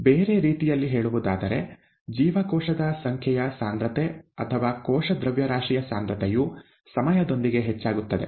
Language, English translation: Kannada, In other words, the cell number concentration or the cell mass concentration increases with time